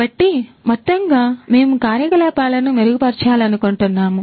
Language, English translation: Telugu, So, overall we want to improve the operations